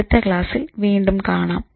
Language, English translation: Malayalam, See you again in the next one